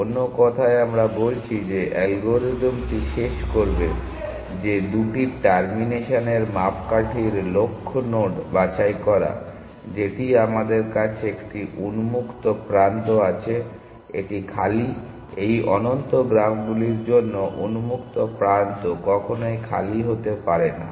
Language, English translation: Bengali, In other words we are saying that the algorithm will terminate that picking the goal node of the two termination criteria that we have one is the open is empty in this for infinite graphs open can never be empty